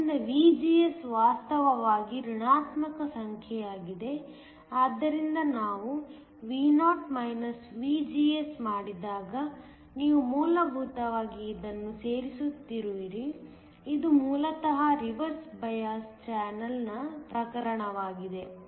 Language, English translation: Kannada, So, VGS is actually a negative number, so that when we do Vo VGS, you are essentially adding this is basically a case of a reversed bias channel